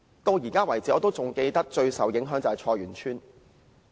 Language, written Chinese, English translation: Cantonese, 我至今仍記得，最受影響的是菜園村。, I still remember that Choi Yuen Tsuen was the most affected village